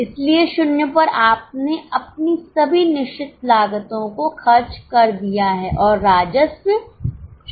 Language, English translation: Hindi, So, at zero, you have incurred all your fixed cost, the revenue is zero, so fixed cost is a maximum loss